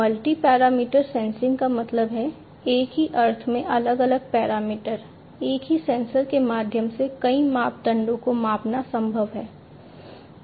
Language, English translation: Hindi, Multi parameter sensing means like different parameters in the same sense through the same sensors it is possible to measure multiple parameters